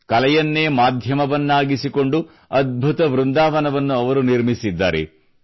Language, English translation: Kannada, Making her art a medium, she set up a marvelous Vrindavan